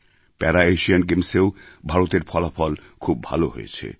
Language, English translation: Bengali, India also performed very well in the Para Asian Games too